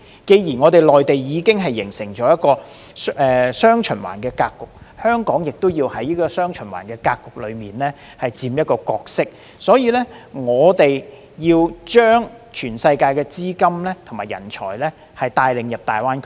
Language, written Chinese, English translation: Cantonese, 既然內地已經形成"雙循環"格局，香港亦要在"雙循環"格局中佔一個角色，所以我們要將全世界的資金和人才帶領到大灣區。, Now that the pattern of dual circulation has been formed in the Mainland Hong Kong must position itself under this new pattern to help bring capital and talent to GBA from all over the world